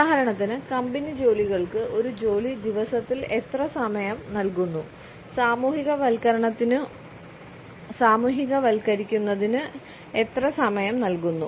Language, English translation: Malayalam, For example how much time is given during a work day to the company tasks and how much time is given to socializing